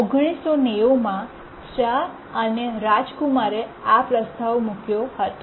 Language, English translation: Gujarati, It was proposed by Shah and Rajkumar, 1990